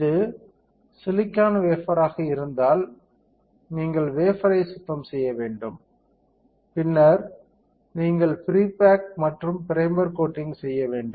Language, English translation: Tamil, If it is a silicon wafer, you have to clean the wafer, and then you have to pre bake and primer coating